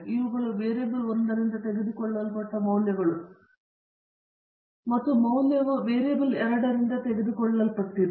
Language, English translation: Kannada, These are values taken by the variable 1 and the value were taken by variable 2